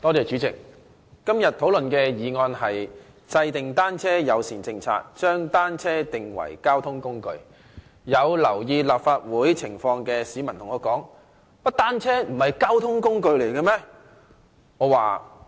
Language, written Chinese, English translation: Cantonese, 主席，今天討論的議案是"制訂單車友善政策，將單車定為交通運輸工具"，有留意立法會情況的市民便問我：原來單車不是交通工具嗎？, President the motion under discussion today is Formulating a bicycle - friendly policy and designating bicycles as a mode of transport . I have been asked by some people who have been paying attention to what is going on in this Council this question Are bicycles not a mode of transport?